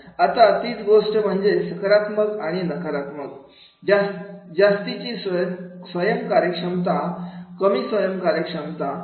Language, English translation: Marathi, Now again, same thing, positive and negative, high self efficacy, low self afficacy